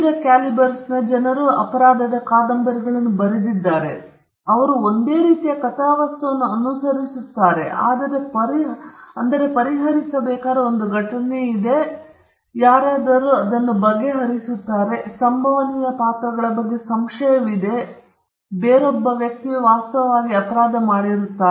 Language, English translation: Kannada, People of different calibers have written crime novels and they all follow the same plot there is an event which has to be solved, and somebody solves it, there is a suspicion on the most possible characters, and somebody else turns out be the person who actually did the crime